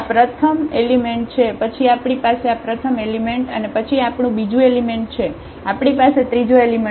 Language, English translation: Gujarati, This is the first component then we have we have a this first component and then we have the second component, we have the third component